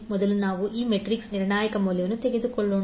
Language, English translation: Kannada, Let us first take the determining value of this metrics